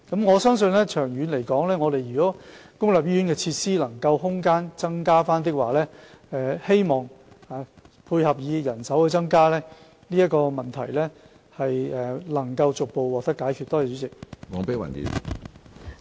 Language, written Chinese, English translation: Cantonese, 我相信，長遠來說，如果公立醫院的設施空間得以增加，再配合人手增加，這個問題將可逐步獲得解決。, I believe that in the long run when the space for facilities in public hospitals as well as manpower is increased the problem will be solved in progressively